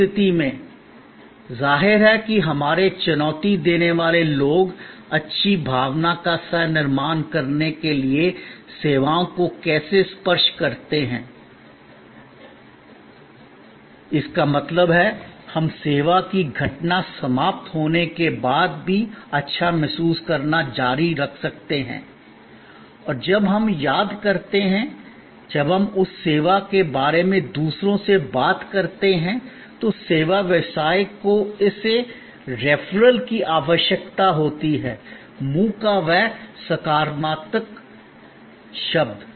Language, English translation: Hindi, In that case; obviously our challengers how to tangibles services to co create lingering good feeling; that means, we can continue to feel good, even after the service event is over and when we recall and when we talk to others about that service, the service business absolutely needs that referral; that positive word of mouth